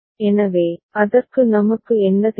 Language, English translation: Tamil, So, for that we need what